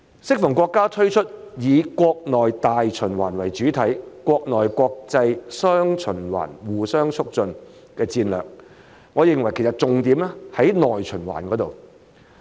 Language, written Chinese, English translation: Cantonese, 適逢國家推出以國內大循環為主體、國內國際雙循環互相促進的戰略，我認為其實重點在於內循環。, While our country is currently launching a strategy with domestic circulation as the mainstay and domestic and international circulations reinforcing each other I consider that the focus is actually on the domestic circulation